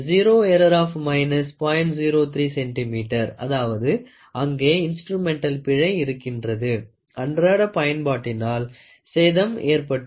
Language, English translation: Tamil, 03 centimeter; that means, to say there is an instrumental error; over a period of time wear and tear has happened